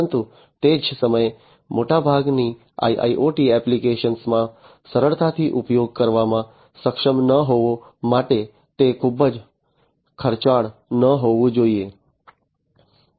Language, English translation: Gujarati, But at the same time it should not be too expensive to be not being able to use easily in most of the IIoT applications